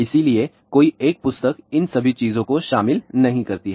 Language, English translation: Hindi, So, no single book covers all these things